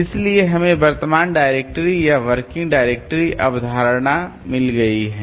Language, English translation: Hindi, So, we have got the current directory or the working directory concept